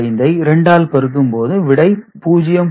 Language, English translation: Tamil, 25, then we multiplied by 2 again, so we get 0